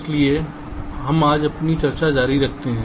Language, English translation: Hindi, so we continue with our discussion today